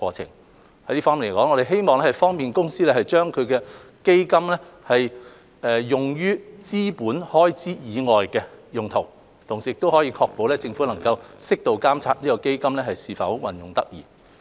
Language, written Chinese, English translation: Cantonese, 就這方面，我們希望可以方便海洋公園公司將基金運用於資本開支以外的用途，同時確保政府能適度監察基金是否運用得宜。, In this connection we hope to facilitate its use of funds for purposes other than capital expenditure and to ensure appropriate Government oversight of the proper use of funds